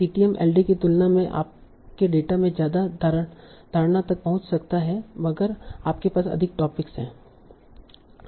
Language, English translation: Hindi, CTM can model reach your assumption in the data than LDAA if you have more number of topics